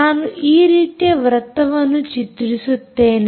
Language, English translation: Kannada, i will draw circles like this